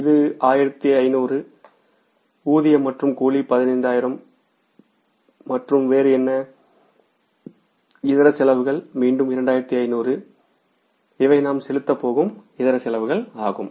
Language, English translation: Tamil, Wages and salaries is the 15,000 and how much is the other miscellaneous expenses are again 2,500s